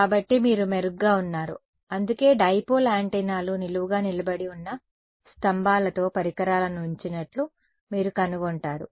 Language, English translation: Telugu, So, you are better off that is why you will find that the devices are kept with the poles with the dipole antennas standing vertical